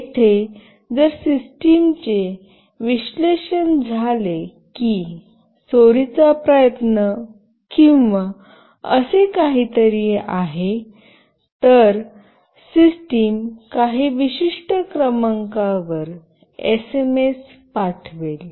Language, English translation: Marathi, Here if the system analyzes that there is a theft attempt or something like that then the system will send a SMS to some particular number